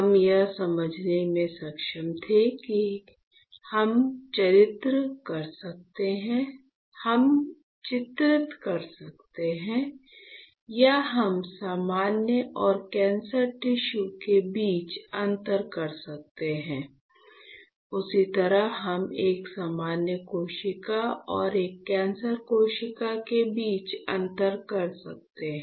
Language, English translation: Hindi, So, we were able to understand that we can delineate or we can differentiate between the normal and the cancer tissue is not it; the same way we can differentiate between a normal cell and a cancerous cell